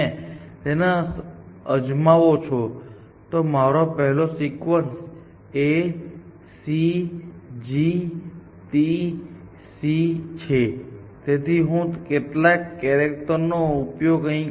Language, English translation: Gujarati, So, let us say, there is one sequence which is like this, A C G T C some arbitrary sequence I have written here